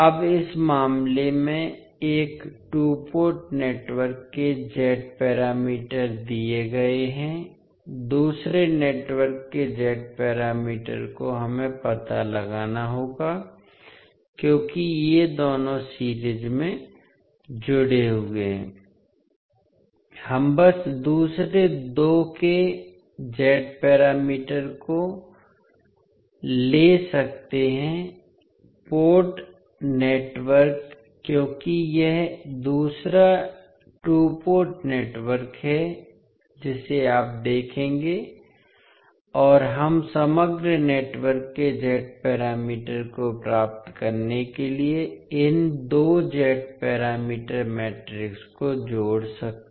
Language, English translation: Hindi, Now, in this case the figure the Z parameters of one two port network is given, the Z parameter of second network we need to find out, since these two are connected in series we can simply take the Z parameters of the second two port network because this is the second two port network you will see and we can sum up these two Z parameter matrices to get the Z parameter of the overall network